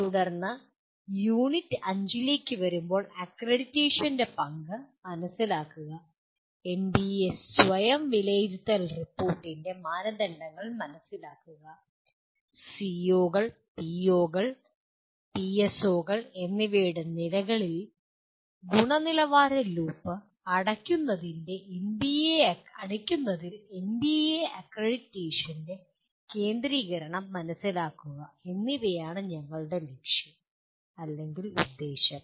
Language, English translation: Malayalam, Then coming to Unit 5, our goal or our aim is to understand the role of accreditation, understand the criteria of NBA Self Assessment Report and understand the centrality of NBA accreditation in closing the quality loop at the levels of COs, POs and PSOs